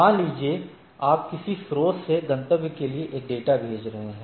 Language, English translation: Hindi, Suppose, you are said sending some source to destination